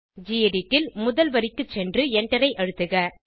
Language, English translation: Tamil, In gedit, go to the first line and press enter